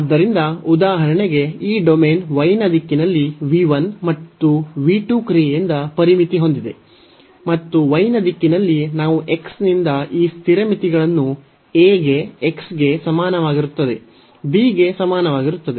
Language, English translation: Kannada, So, for example, this domain is bounded by the function v 1 and v 2 in the direction of y; and in the direction of y we have these constant limits from x is equal to a to x is equal to b